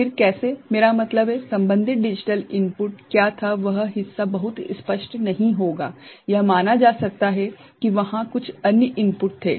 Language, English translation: Hindi, Then how what I mean, what was the corresponding digital input that part will not be very clear ok, it could be considered that some other input was there